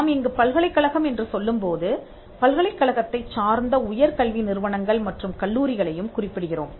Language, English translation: Tamil, So, if you look at how universities have evolved and when we refer to university, we refer to university’s higher educational institutions and colleges as well